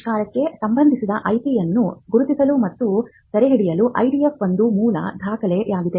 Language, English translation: Kannada, The IDF is a basic document for identifying and capturing the IP pertaining to an invention